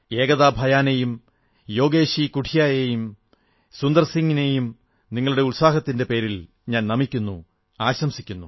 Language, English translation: Malayalam, I salute Ekta Bhyanji, Yogesh Qathuniaji and Sundar Singh Ji, all of you for your fortitude and passion, and congratulate you